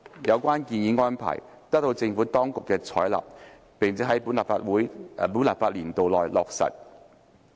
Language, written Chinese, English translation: Cantonese, 有關建議安排得到政府當局採納並在本立法年度內落實。, The proposed arrangement was adopted by the Administration and implemented during this legislative session